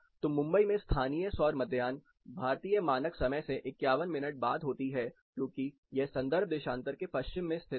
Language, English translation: Hindi, So, local solar noon at Mumbai occurs 51 minutes later than Indian standard time because it lies to the west of the reference longitude